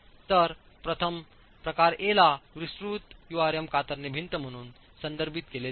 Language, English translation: Marathi, So, the first type, type A is referred to as a detailed URM shear wall